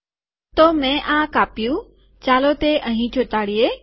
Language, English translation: Gujarati, So I have cut, lets paste it here